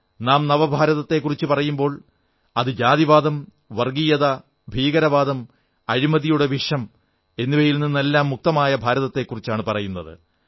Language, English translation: Malayalam, When we talk of new India then that new India will be free from the poison of casteism, communalism, terrorism and corruption; free from filth and poverty